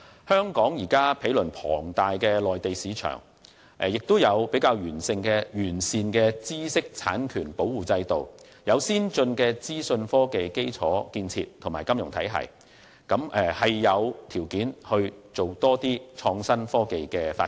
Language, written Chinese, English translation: Cantonese, 香港毗鄰龐大的內地市場，有較完善的知識產權保護制度，也有先進的資訊科技基礎建設和金融體系，是有條件推動創新科技發展的。, Proximity to the huge Mainland market a robust intellectual property protection regime as well as an advanced IT infrastructure and financial system are favourable conditions for Hong Kong to foster IT development